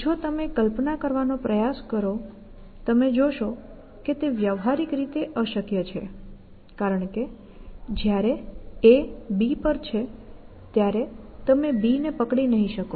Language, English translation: Gujarati, To if you try to imagine that you will see that it practically impossible, because he cannot be holding B when A is on B